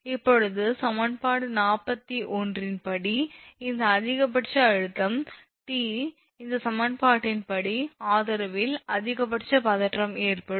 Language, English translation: Tamil, Now, according to equation 41 this one maximum tension T occurs at the support as per this equation maximum tension will occur at the support